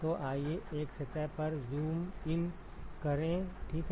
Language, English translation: Hindi, So, let us zoom in to one surface ok